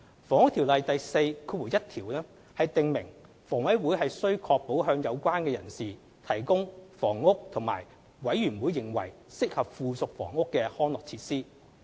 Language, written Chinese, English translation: Cantonese, 《房屋條例》第41條訂明房委會須確保向有關人士提供房屋和"委員會認為適合附屬房屋的康樂設施"。, Section 41 of the Housing Ordinance requires HA to secure the provision of housing and such amenities ancillary thereto as the Authority thinks fit for the persons concerned